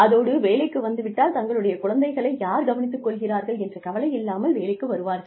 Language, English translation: Tamil, And, then also, come to work without bothering, or without worrying as to, who will look after their children